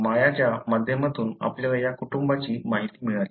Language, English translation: Marathi, We got the information about this family through Maya